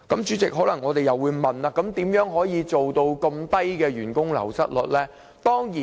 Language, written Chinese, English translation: Cantonese, 我們可能會問，如何能夠做到這麼低的員工流失率？, We may wonder how such a low staff turnover rate is attained